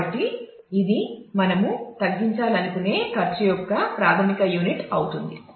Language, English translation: Telugu, So, this kind of becomes the primary unit of cost that we want to minimize